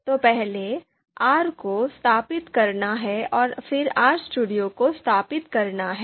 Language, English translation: Hindi, So first, R is to be installed and then RStudio is to be you know installed